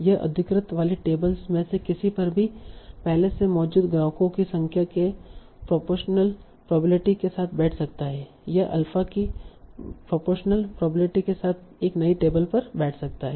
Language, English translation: Hindi, F customer arrives, she sits at any of the occupied tables with a probability proportional to the number of previous customers already seated on the table and at the next unoccupied table with the probability proportional to alpha